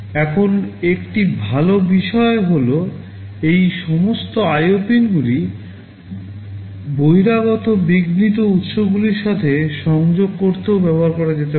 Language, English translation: Bengali, Now, one good thing is that all these IO pins can also be used to connect with external interrupt sources